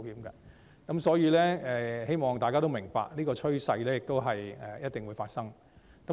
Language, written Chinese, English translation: Cantonese, 因此，希望大家明白，這種趨勢是一定會發生的。, Therefore I hope Members understand that this trend will definitely take place